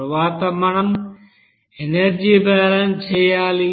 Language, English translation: Telugu, Next we have to do the energy balance